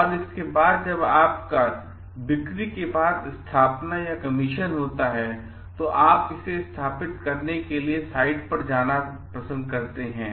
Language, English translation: Hindi, And after that when it is installation or commission after your sale, you have to go to the site to install it